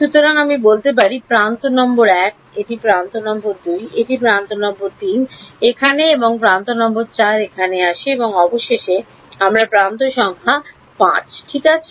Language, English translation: Bengali, So, I can say edge number 1 is this, edge number 2 is this, edge number 3 is here and edge number 4 comes here and finally, I have edge number 5 ok